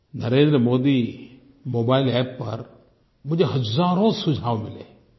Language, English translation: Hindi, I have received thousands of suggestions on the NarendraModi Mobile App